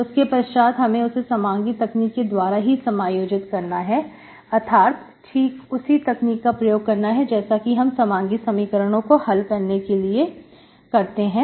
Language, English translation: Hindi, So as, then we integrate it using the homogeneous technique, homogeneous, just the technique that is used to solve the homogeneous equations